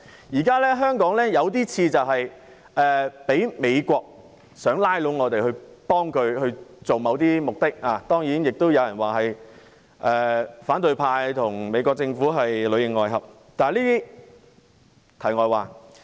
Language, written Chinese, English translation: Cantonese, 現時香港的情況似乎是美國想拉攏我們助其達到某些目的，當然亦有人指反對派與美國政府裏應外合，但這些是題外話。, Yet in the current situation of Hong Kong it seems that the United States is trying to draw us in to help it to achieve certain purposes . Of course some people are saying that the opposition camp is in collusion with the United States Government yet this is not the question